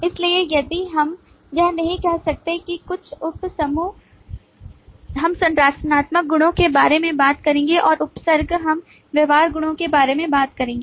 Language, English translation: Hindi, so if we cannot that, some of the a subset of the diagrams, we will talk about structural properties and subset we'll talk about behavioral properties